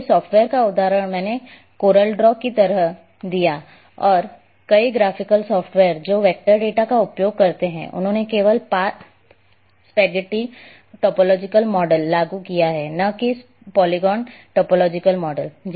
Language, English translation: Hindi, So, the software’s example I gave like coral draw and many graphical software’s which uses the vector data they have implemented only path spaghetti topological model, not path polygon topological model